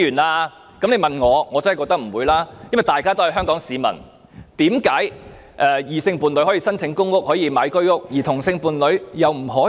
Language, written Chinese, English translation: Cantonese, 我當然認為不會如此，因為同屬香港市民，為何異性伴侶可申請公屋和購買居屋，同性伴侶卻不可以？, I of course do not consider it the case because as fellow Hong Kong citizens why are homosexual couples not allowed to apply for public housing and purchase flats under Home Ownership Scheme when heterosexual couples can do so?